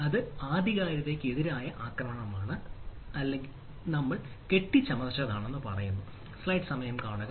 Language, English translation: Malayalam, so that is a ah attack on authenticity, or what we say fabrication